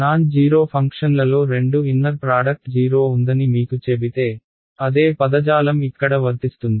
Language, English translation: Telugu, If I tell you two non zero functions have inner product 0, the same terminology applies